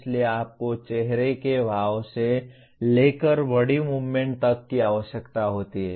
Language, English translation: Hindi, So you require right from facial expressions to body movements you require